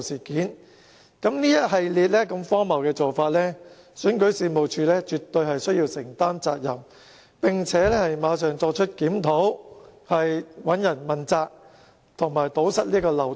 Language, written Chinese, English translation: Cantonese, 這一系列如此荒謬的做法，選舉事務處絕對須要承擔責任，並須馬上作出檢討、問責及堵塞漏洞。, REO should take the responsibility for a host of ridiculous practices and it should conduct a review immediately in order to ascertain accountability and plug the loopholes